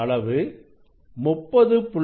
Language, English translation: Tamil, current is 30